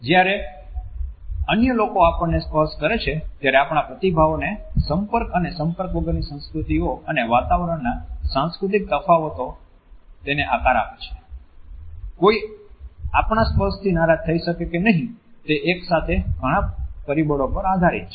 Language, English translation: Gujarati, These cultural differences of contact and non contact cultures and environments condition our responses when other people touch us, whether or not somebody would be offended by our touch depends on so many factors simultaneously